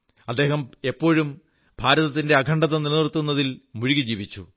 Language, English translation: Malayalam, He always remained engaged in keeping India's integrity intact